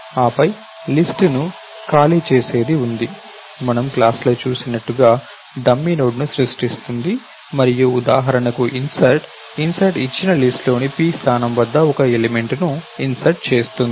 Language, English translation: Telugu, Then, the something which makes an empty list, it create a dummy node as we saw in the class and insertion for example, insert() inserts an element at a position p in the given list